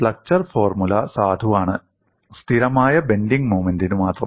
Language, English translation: Malayalam, Flexure formula is valid, only for the case of constant bending moment